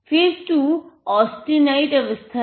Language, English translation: Hindi, So, this is the austenite phase